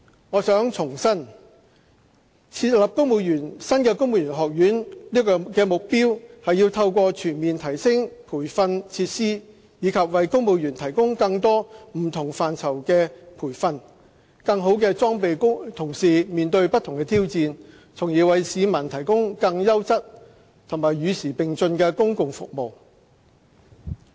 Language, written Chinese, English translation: Cantonese, 我想重申，設立新的公務員學院的目標，是要透過全面提升培訓設施，以及為公務員提供更多不同範疇的培訓，更好地裝備同事面對不同的挑戰，從而為市民提供更優質和與時並進的公共服務。, I wish to reiterate that the purpose for the establishment of a civil service college with upgraded training facilities is to further enhance training for civil servants in various areas with a view to tackling different challenges and delivering better quality and up - to - date public services